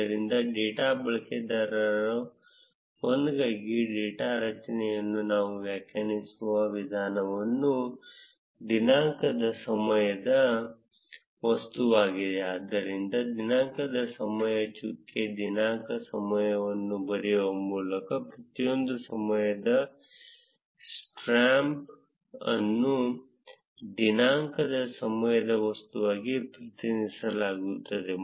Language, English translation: Kannada, So, for data user 1, the way we define the data array is the date time object so each of the time stamp is represented as a date time object by writing date time dot date time